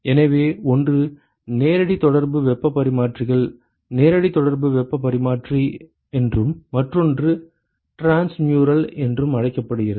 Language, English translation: Tamil, So, one is called the direct contact heat exchangers direct contact heat exchanger and the other one is what is called as the transmural